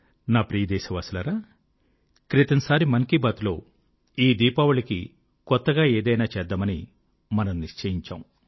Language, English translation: Telugu, My dear countrymen, in the previous episode of Mann Ki Baat, we had decided to do something different this Diwali